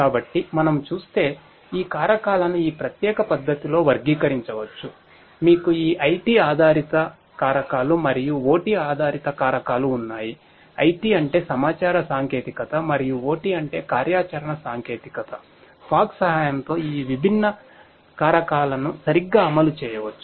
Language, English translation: Telugu, So, these factors if we look at can be classified in this particular manner, you have these IT based factors and the OT based factors, IT means information technology and OT means operational technology, these different factors with the help of fog can be implemented right